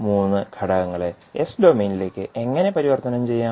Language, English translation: Malayalam, So, how we can transform the three elements into the s domain